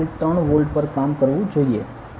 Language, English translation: Gujarati, 3 volts it is the working level is 3